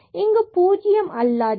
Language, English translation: Tamil, So, this is here 0 and this is also 0